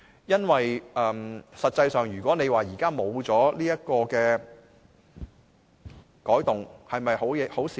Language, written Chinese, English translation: Cantonese, 因為實際上，如果現在沒有這個改動是否好事呢？, Can the situation be any better if there is no such modification?